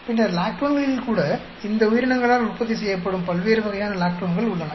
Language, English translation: Tamil, And then, even in the lactones, there are different types of lactones that are produced by these organisms